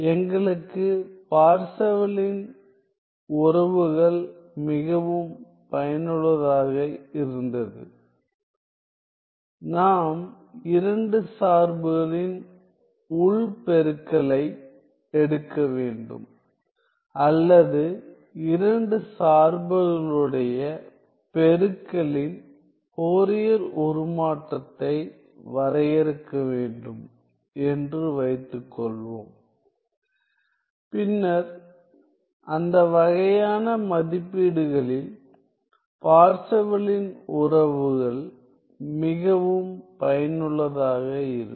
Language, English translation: Tamil, Well, Parseval’s relations are quite useful when we were; we have to take the inner product of 2 functions or suppose we were to define the Fourier transform of the product of 2 functions then Parseval’s relations are quite useful, in those sort of evaluations